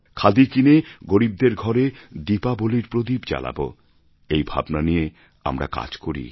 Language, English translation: Bengali, We should follow the spirit of helping the poor to be able to light a Diwali lamp